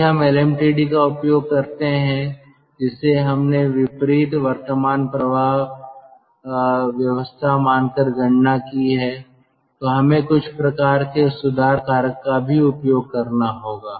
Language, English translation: Hindi, if we use the lmtd which we have calculated, assuming count, counter, current flow arrangement, we have to also use some sort of correction factor for this correction factor